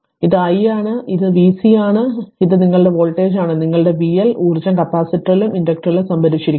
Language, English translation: Malayalam, This is i and this is v C and this is your voltage your what you call and your v L right and energy stored in the capacitor and inductor this we have to find out